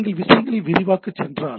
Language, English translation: Tamil, So if you go on expanding things